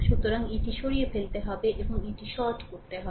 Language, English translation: Bengali, So, this has to be removed and this has to be shorted